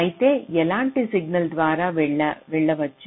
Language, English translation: Telugu, so what kind of signal can go through